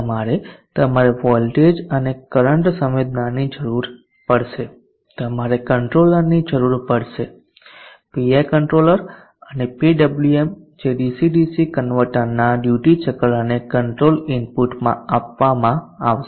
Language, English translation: Gujarati, You will need the voltage and the current sensing you will need a controller something like this VI controller and PW which will be given to the duty cycle control input of the DC DC converter